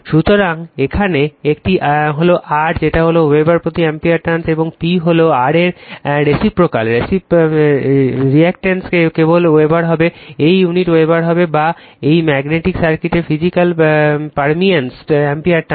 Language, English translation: Bengali, So, here it is R is actually ampere turns per Weber, and P is the reciprocal of R, the reluctance it will be just Weber, this unit will be Weber or ampere turns of this physical permeance of the magnetic circuit right